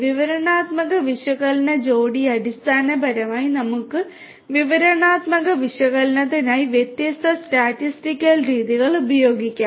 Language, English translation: Malayalam, Descriptive analytics you know pair basic we could use different statistical methods for the descriptive analytics